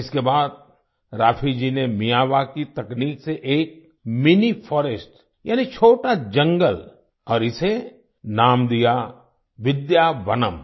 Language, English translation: Hindi, After this, Raafi ji grew a mini forest with the Miyawaki technique and named it 'Vidyavanam'